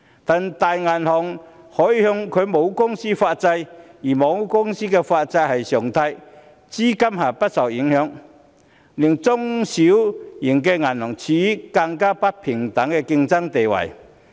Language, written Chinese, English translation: Cantonese, 但是，大銀行則可以向其母公司發債，而母公司發債是常態，資金不會受影響，這令中小型銀行處於更不平等的競爭地位。, Large banks on the other hand can issue bonds under its parent company which is a common practice that will not negatively impact the capital . Small and medium banks are thus placed at an even more unfair position in the competition